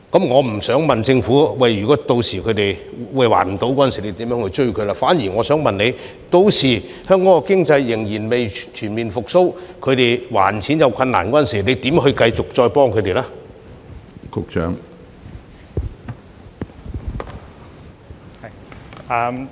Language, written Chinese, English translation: Cantonese, 我不想問如果申請人屆時無法還錢，政府會如何向他們追討，反而想問如果屆時香港經濟仍未全面復蘇，他們無法還款時，政府會如何繼續幫助他們呢？, I am not asking how the Government will recover the money from the applicants in case of default; instead may I ask how the Government will continue to help the applicants if the Hong Kong economy has not fully recovered and the applicants cannot repay their loans later on?